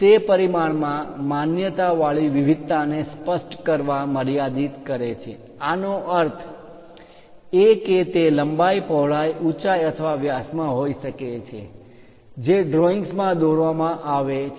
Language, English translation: Gujarati, It limits specifying the allowed variation in dimension; that means, it can be length width, height or diameter etcetera are given the drawing